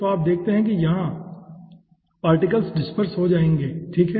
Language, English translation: Hindi, okay, so you see, over here particles will disparsed